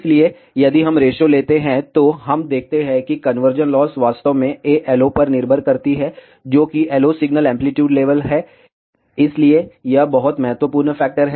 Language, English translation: Hindi, So, if we take the ratio, we see that the conversion loss actually depends on A LO, which is the LO signal amplitude level, so it is very important factor